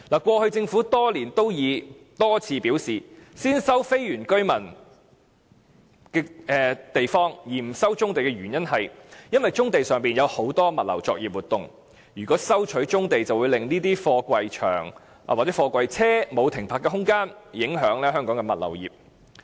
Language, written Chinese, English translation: Cantonese, 過去多年，政府多次表示先收非原居民村落土地而不收棕地，是因為棕地上有很多物流作業活動，如果收回棕地便會令貨櫃車沒有停泊的空間，影響香港物流業發展。, Over the years the Government indicated repeatedly that the above action was taken because a lot of logistics activities were carried out in the brownfield sites and if brownfield sites were resumed no parking space would be made available for container trucks thereby affecting the development of the logistics business in Hong Kong